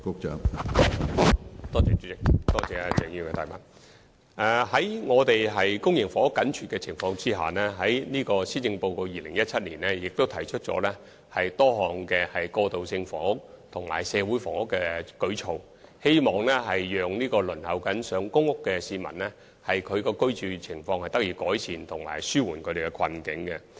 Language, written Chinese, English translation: Cantonese, 在公營房屋緊絀的情況下，當局在2017年的施政報告提出多項過渡性房屋和社會房屋舉措，希望正在輪候公屋的市民的居住情況能得到改善，並紓緩其困境。, Given the acute shortage of public housing units the Government has proposed a number of measures in the 2017 Policy Address for the provision of transitional housing and community housing in the hope of improving the living condition of those who are waiting for allocation of public housing units and relieving their hardship